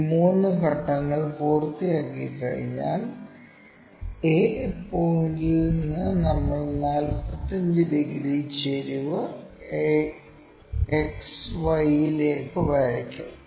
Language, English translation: Malayalam, Once these three steps are done we will draw a line 45 degrees incline to XY from a point a